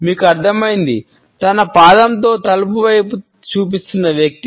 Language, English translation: Telugu, You got it, the one with his foot pointing to the door